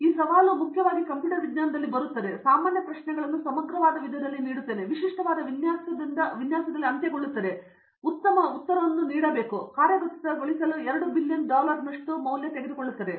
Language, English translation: Kannada, So, today is the challenge essentially comes normally I give questions in comprehensive viva and typically end sems to design as, they will give a very good answer, but it will take 2 billion dollars to implement